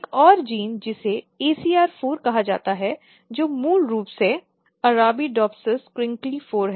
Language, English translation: Hindi, And another gene which is called ACR4, which is basically ARABIDOPSISCRINKLY4